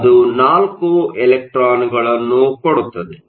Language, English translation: Kannada, So, it has 1 extra electron